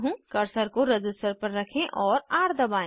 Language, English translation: Hindi, Place the cursor on the resistor and press R